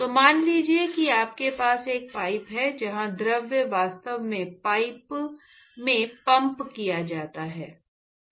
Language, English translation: Hindi, So, supposing if you have a pipe where the fluid is actually pumped into the pipe